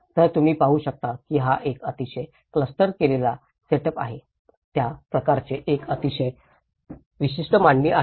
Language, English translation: Marathi, So, you can see this is a very clustered setup; each of them has a very unique layout